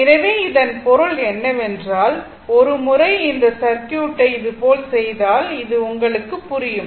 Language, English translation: Tamil, So, that means, ah your if I make the circuit once like this, it is something like this hope it is understandable to you